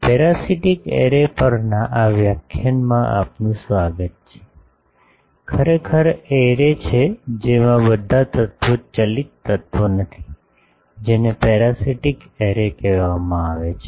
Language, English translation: Gujarati, Welcome to this lecture on Parasitic Array, actually arrays in which, not all of the elements are driven is called parasitic array